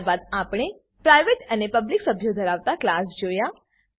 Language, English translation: Gujarati, Then we have seen class with the private and public members